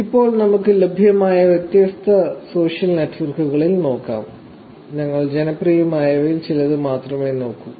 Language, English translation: Malayalam, Now, let us look at different social networks that are available there and we are only going to look at some of the popular ones